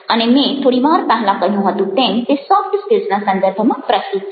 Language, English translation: Gujarati, and again, as i said with you little earlier, its relevant in the context of soft skills